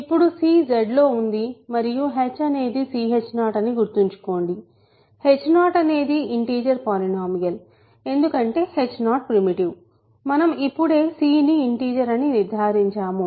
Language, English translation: Telugu, Now c is in Z and h remember is c times h 0; h 0 is an integer polynomial because h 0 is primitive, c we have just concluded is an integer